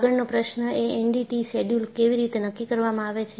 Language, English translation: Gujarati, The next question how is the N D T schedule decided